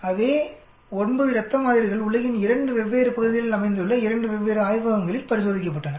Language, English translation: Tamil, So same 9 blood samples they were tested in 2 different labs located in 2 different parts of the world